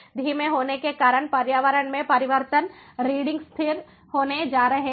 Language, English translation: Hindi, the slow, due to the slow change in the environment, the readings are going to be unaltered